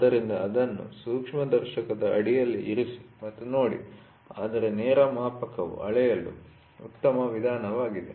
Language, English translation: Kannada, So, put it under a microscope and look, but direct measurement is the best method to measure